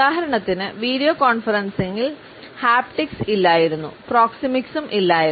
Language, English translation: Malayalam, For example, in video conferencing haptics was absent, proxemics was also absent